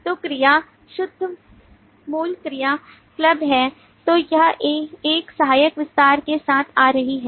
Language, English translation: Hindi, so the pure original verb is a club then it is coming with an auxiliary extension